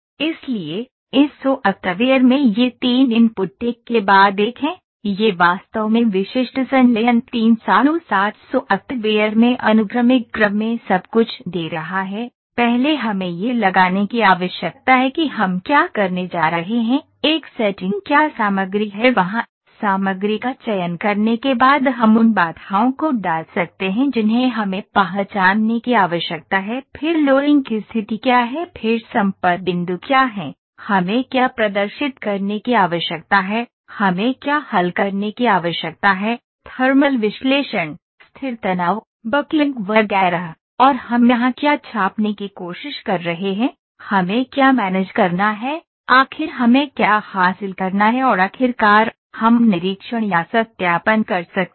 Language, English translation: Hindi, So, in this software these three inputs are just here of one after another, it is actually giving everything in a sequential order in the specific fusion 360 software, first we need to put what is a setting we are going to do then what material is there, after selecting the material we can put the constraints that are we need to identify then what are the loading conditions then what are the contact points, what do we need to display, what do we need to solve, thermal analysis, static stress, buckling etcetera, and what are we trying to print here, what do we need to manage, finally what do we need to obtain and finally, we can inspect or validate